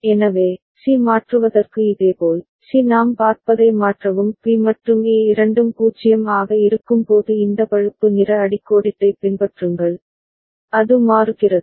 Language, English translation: Tamil, So, similarly for C to change, C to change what we see that follow this brown underline when both of B and A are 0, it is changing